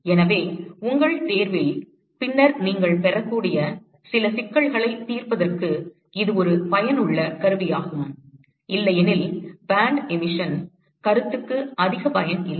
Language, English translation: Tamil, So, it is just a useful tool for solving some problems that you may get in your exam later, otherwise I do not see much use for the band emission concept